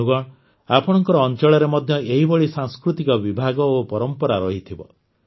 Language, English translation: Odia, Friends, there will be such cultural styles and traditions in your region too